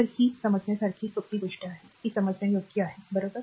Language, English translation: Marathi, So, this is a understandable a simple thing this is a understandable to you, right